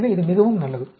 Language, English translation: Tamil, So, it is really good